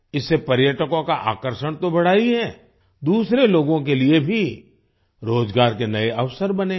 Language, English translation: Hindi, This has not only increased the attraction of tourists; it has also created new employment opportunities for other people